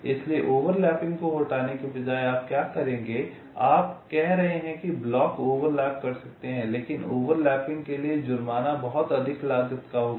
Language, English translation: Hindi, so instead of disallow overlapping what you would, you are saying the blocks can overlap, but the penalty for overlapping will be of very high cost